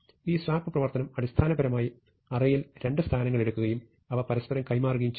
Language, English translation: Malayalam, So, we have assumed that we have this swap operation, which basically takes two positions in an array and exchanges them